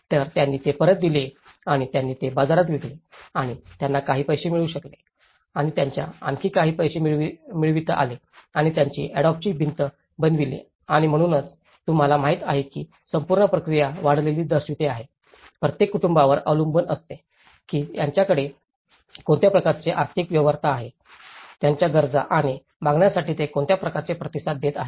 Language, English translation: Marathi, So, they have given it back and they sold it in the market and they could able to get some money and they could able to put some more money and built the adobe walls and so this whole process you know, itís all showing up an incremental process depending on each household what kind of economic feasibility they had, what kind of infill they are responding to their needs and demands